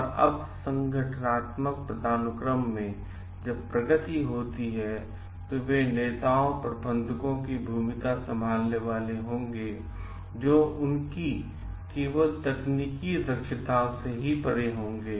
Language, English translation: Hindi, And as an when the progress up in the organizational hierarchy, they will be like assuming roles of leaders managers, beyond only their technical competencies